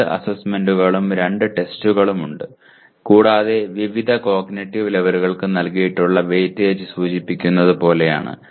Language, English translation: Malayalam, There are two assignments and two tests and the weightage as given for various cognitive levels is as indicated